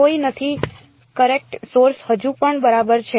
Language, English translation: Gujarati, No right the current source is still there ok